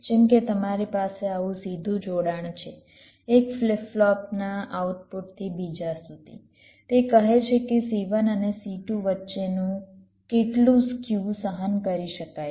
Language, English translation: Gujarati, like you have a direct connection like this from the output of one flip flop to the other, its says how much skew between c one and c two can be tolerated